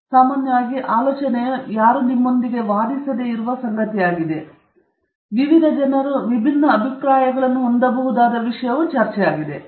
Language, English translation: Kannada, And, in general, the idea is that result is something that nobody can argue with you about, discussion is something where different people can have different opinions